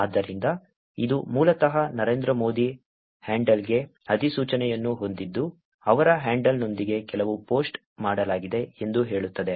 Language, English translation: Kannada, So, this would basically have a notification to the handle Narendra Modi saying that some post has been done with his handle